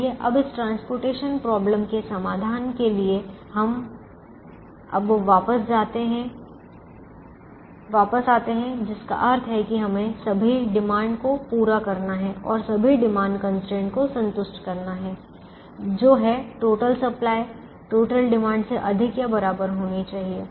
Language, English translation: Hindi, for this transportation problem to have a solution, which means for us to meet all the demands and satisfy all the demand constraints, the total supply should be greater than or equal to the total demand